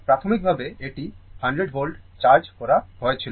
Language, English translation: Bengali, Initially, it was charged at 100 volt, right